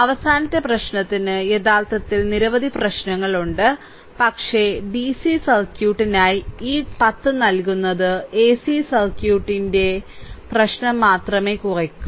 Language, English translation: Malayalam, A last problem I actually have many problems, but only this 10 I am giving for dc circuit only ac circuit problem will be reduce